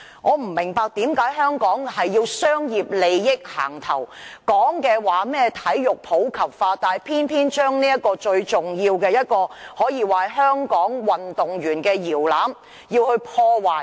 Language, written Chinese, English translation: Cantonese, 我不明白為何香港總要以商業利益行先，說甚麼體育普及化，但偏偏將最重要的一個可以說是香港運動員搖籃的運動場破壞。, I do not understand why Hong Kong always has to give priority to commercial interests . The Government often talks about promoting sports in the community . But it is now destroying the most important sports ground which can be regarded as a cradle for Hong Kong top - notch athletes